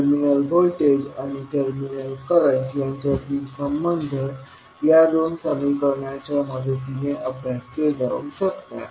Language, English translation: Marathi, The relationship between terminal voltage and terminal current can be stabilised with the help of these two equations